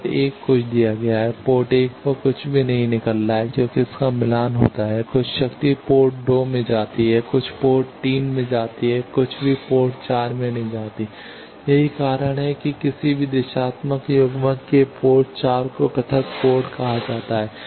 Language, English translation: Hindi, Port 1 something is given, nothing is coming out at port 1 because its matched then some power goes to port 2, some goes to port 3, nothing goes to port 4 that is why port 4 of any directional coupler is called isolated port